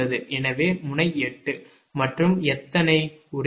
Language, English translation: Tamil, so node eight, and how many